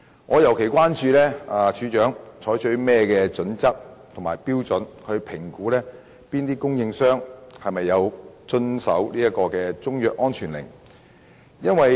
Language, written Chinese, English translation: Cantonese, 我尤其關注署長採取甚麼準則及標準，以評估中藥商有否遵從中藥安全令。, I am particularly concerned about the criteria and standards to be adopted by the Director for assessing whether a Chinese medicines trader has complied with a Chinese medicine safety order